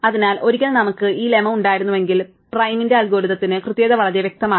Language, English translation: Malayalam, So, once we had this lemma, the correctness of prim's algorithm is very obvious